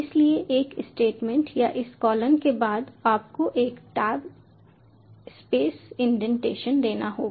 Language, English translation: Hindi, so after one statement or this colon, you have to give one tab space: indentation